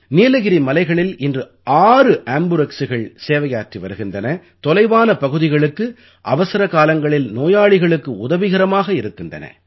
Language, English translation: Tamil, Today six AmbuRx are serving in the Nilgiri hills and are coming to the aid of patients in remote parts during the time of emergency